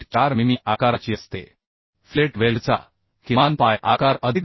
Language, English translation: Marathi, 4 mm the size of the filet weld is minimum leg size plus 2